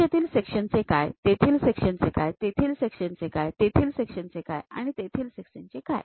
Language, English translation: Marathi, What about the section here, what about the section there, what about the section there, what about the section there and what about the section there